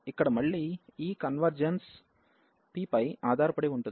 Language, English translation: Telugu, So, here again this convergence of this depends on p